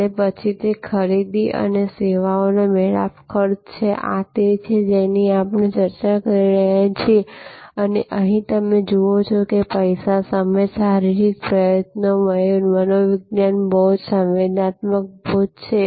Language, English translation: Gujarati, And then, that is a purchase and service encounter cost, this is what we have been discussing and here as you see there is money; that is time, physical effort, psychological burden, sensory burden